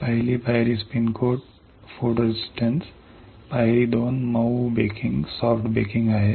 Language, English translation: Marathi, Step one spin coat photo resist; step 2 is soft baking